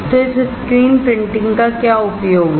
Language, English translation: Hindi, So, what is the use of this screen printing